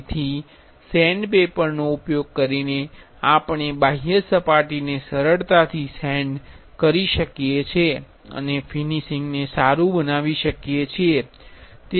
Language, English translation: Gujarati, So, using sandpaper we can easily sand the outer surface and make the finish look good